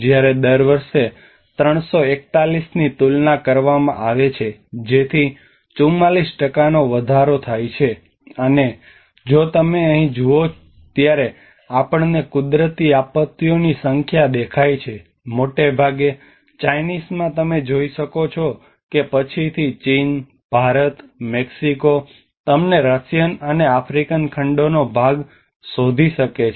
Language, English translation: Gujarati, When compared to the 341 per year so that there is a 44% of increase and if you look at it when we see the number of natural disasters here, mostly in the Chinese you can see that China, India, Mexico the later on you can find part of Russian and African continents